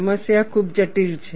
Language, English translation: Gujarati, The problem is very complex